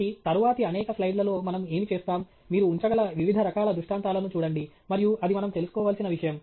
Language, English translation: Telugu, So, what we will do in the next several slides is to look at different types of illustrations that you can put up and that itself is something that we need to be aware of